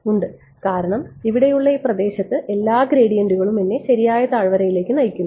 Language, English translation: Malayalam, Yes because in this region over here all the gradients are guiding me to the correct valley